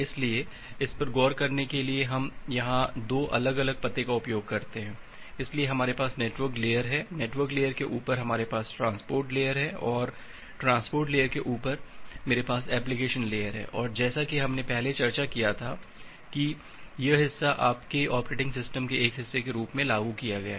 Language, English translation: Hindi, So, to look into that, we use 2 different addresses here, so we have the network layer on top of the network layer, we have the transport layer and on top of the transport layer, I have the application layer and as we discussed earlier, that this part it is implemented as a part of your operating system